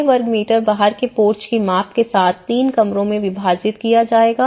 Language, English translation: Hindi, Divided into 3 rooms with a porch measuring of 6 square meter outside